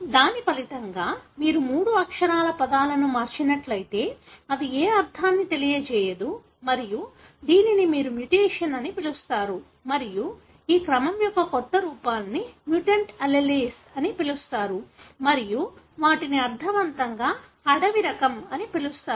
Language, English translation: Telugu, As a result, again if you convert three letter words, it does not convey any meaning and this is what you call as mutations and these new forms of the sequence are called as mutant alleles and the one that make sense is called as wild type